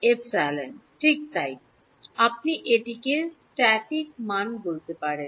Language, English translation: Bengali, Epsilon s right so this is you can call this the static value